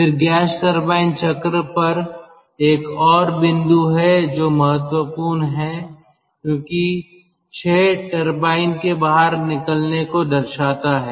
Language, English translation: Hindi, then there is another point on the ah gas turbine cycle which is important because ah six denotes the exit of the turbine